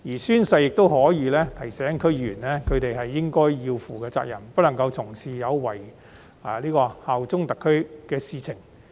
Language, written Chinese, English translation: Cantonese, 宣誓亦可以提醒區議員應該負起的責任，以及不能作出有違效忠特區的行為。, The oath can also remind DC members of their due responsibilities and the need to avoid committing acts that breach their allegiance to SAR